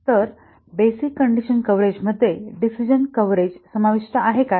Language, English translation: Marathi, Will basic condition coverage subsume decision coverage